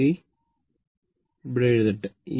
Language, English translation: Malayalam, Just, just hold on, let me write here